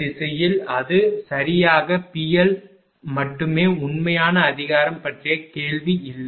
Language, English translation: Tamil, In the direction it will be P L only here no question of real power right